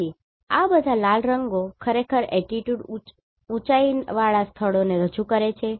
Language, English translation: Gujarati, So, all these red colours actually represent high altitude locations right